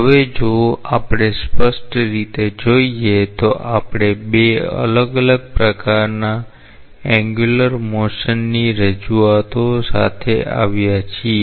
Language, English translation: Gujarati, Now, if we see clearly we have come up with two different types of angular motion representations